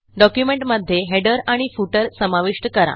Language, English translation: Marathi, Add a header and footer in the document